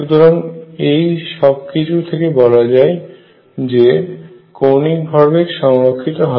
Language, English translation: Bengali, So, all these mean that angular momentum is conserved